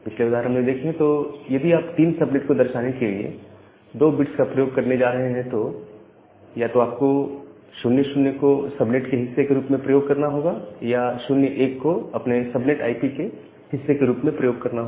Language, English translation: Hindi, So, in the previous case, again if you are going to use 2 bits to denote three subnets, then either you have to use 0 0 as a part of the subnet or 0 1 as a part of your subnet IP